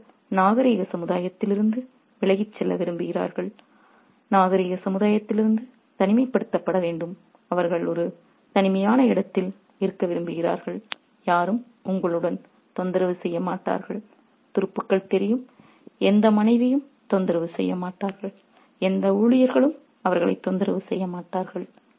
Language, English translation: Tamil, And it's also very important to note that they want to get away from civilized society, they want to be isolated from civilized society, they want to be on a lonely spot where nobody would bother them with troops, when no wife will trouble there, when no servants will bother them